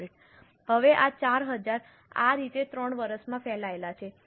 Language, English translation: Gujarati, Now, this 4,000 is spread over 3 years in this manner